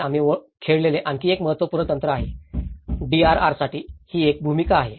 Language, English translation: Marathi, This is another important technique which we played; this is one role play for DRR